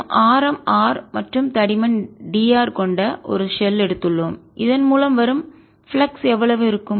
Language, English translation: Tamil, so we are taking a shell of radius r and thickness d r, the flux through